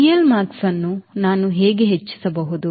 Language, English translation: Kannada, how can i increase c l max